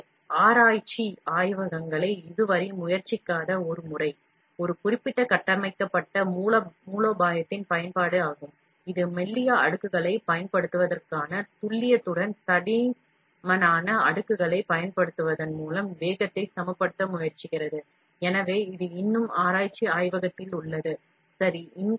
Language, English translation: Tamil, So, one method not tried out the research labs as yet, is the use of a particular built strategy, that attempts to balance the speed by using a thicker layers with the precision of using thinner layers, so this, it is still in research lab, ok